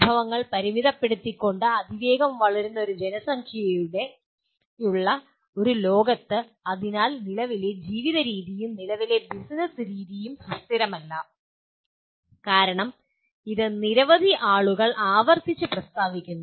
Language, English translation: Malayalam, In a world that this is a fast growing population with resources being limited, so the current way of living and current way of doing business is not sustainable as it is being repeatedly stated by so many people